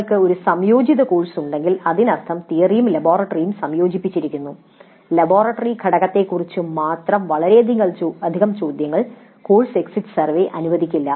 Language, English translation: Malayalam, Now if we have an integrated course that means both theory and laboratory combined then the course exit survey may not allow too many questions regarding only the laboratory component